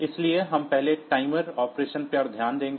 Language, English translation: Hindi, So, we will first look into the timer operation